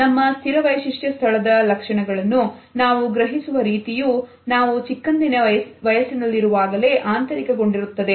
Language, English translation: Kannada, So, the way we perceive the features of our fixed space are internalized at a very early stage in our life